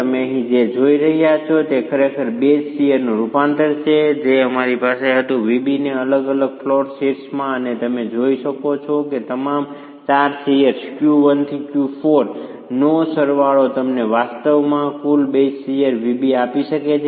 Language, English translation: Gujarati, So, what you are seeing here is really the conversion of the base share that we had, VB, into the different flow shares and as you can see the summation of all the four shares Q1 to Q4 can actually give you the total base shear VB itself